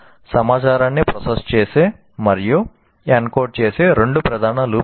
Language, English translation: Telugu, These are the two major loops that process the information and encode